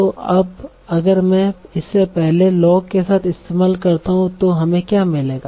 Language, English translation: Hindi, So now if I use it with the first law, so what do we get